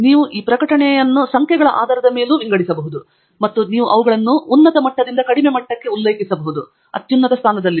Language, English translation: Kannada, And you can also sort the publications by the number of citations, and you can cite them from the highest level to the lowest level; highest being at the top